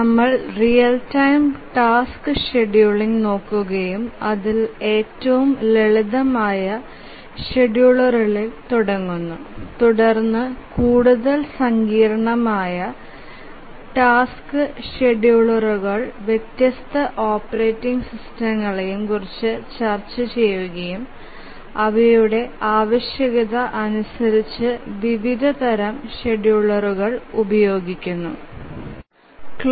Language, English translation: Malayalam, We have been looking at the real time task scheduling and we said that we will start with the simplest schedulers and then as we proceed we will look at more sophisticated task schedulers and different operating systems depending on their sophistication they use different types of schedulers and we said that the clock driven schedulers are the simplest scheduler